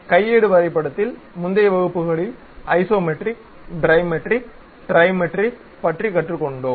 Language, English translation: Tamil, In the earlier classes at manual drawing we have learned something about Isometric Dimetric Trimetric